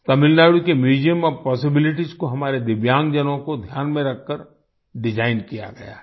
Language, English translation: Hindi, Tamil Nadu's Museum of Possibilities has been designed keeping in mind our Divyang people